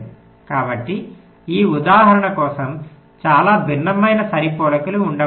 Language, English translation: Telugu, so, for this example, there can be a so much different kind of matchings